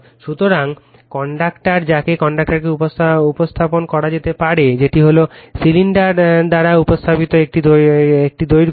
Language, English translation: Bengali, So, conductor they are conductor can be represented that is a long wire represented by cylinder right